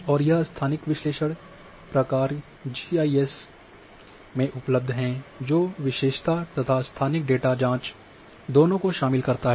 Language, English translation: Hindi, And this you know spatial analysis functions which are in GIS these tools are available which involves both attribute and spatial data queries